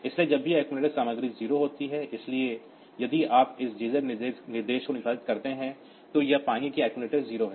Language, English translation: Hindi, So, whenever the accumulator content is 0, so if you execute a z instructions, so it will find that the accumulator is 0